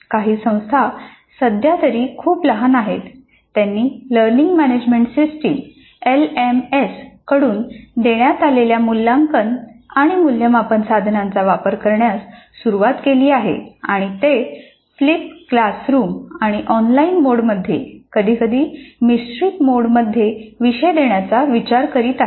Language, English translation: Marathi, Some institutions though at present are still very small in number have started using assessment and evaluation tools offered by learning management systems and are thinking of offering courses in flipped classroom and online mode sometimes in blended mode